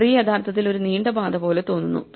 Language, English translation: Malayalam, So, the tree actually looks like a long path right